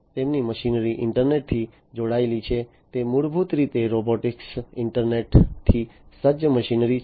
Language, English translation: Gujarati, And their machinery are internet connected, they are basically robotic internet equipped machinery